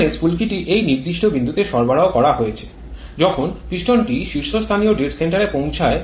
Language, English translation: Bengali, here the spark has been provided at this particular point piston reaches stopped dead center